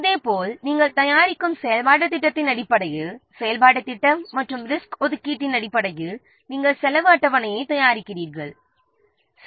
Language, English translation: Tamil, Similarly, based on the activity plan, you are preparing the, based on the activity plan and the resource allocation, you are preparing the cost schedule